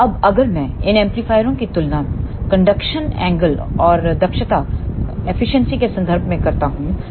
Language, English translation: Hindi, Now, if I compare these amplifiers in terms of conduction angle and efficiency